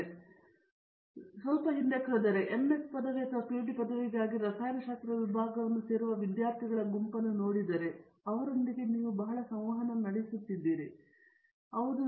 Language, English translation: Kannada, If I go back a little and let say look at the set of students who probably join a chemistry department for an MS degree or a PhD degree and so on, and you have interacted with a lot of them